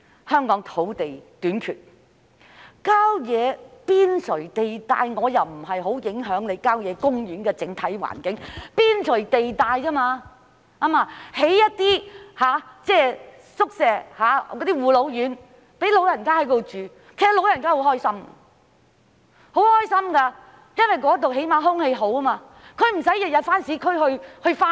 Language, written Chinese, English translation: Cantonese, 香港土地短缺，郊野邊陲地帶發展對郊野公園的整體環境不會有太大影響，只是在邊陲地帶興建一些宿舍、護老院供長者入住，他們會很開心，因為那裏空氣好，他們又不用每天到市區上班。, There is a shortage of land in Hong Kong . The development of the periphery of country parks will not have much impact on the environment as a whole . The construction of some hostels and residential care homes for the elderly in the periphery of country parks will make the elderly happy for there is fresh air and they need not travel to the urban area for work every day